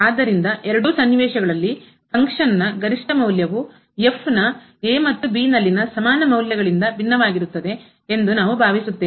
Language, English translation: Kannada, So, in either situation let us consider the case we suppose that the maximum value of the function is different from the equal values of at and which are the same here